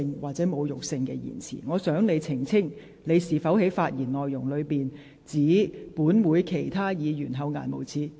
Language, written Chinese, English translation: Cantonese, 我希望你能澄清，你在剛才的發言中，是否指本會的其他議員厚顏無耻？, May I ask you to clarify if you did accuse another Member of this Council of being shameless in your speech just now?